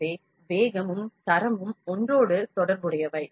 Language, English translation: Tamil, So, speed and quality are interrelated